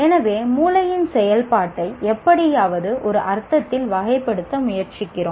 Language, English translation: Tamil, So we are trying to somehow classify the functioning of the brain in one sense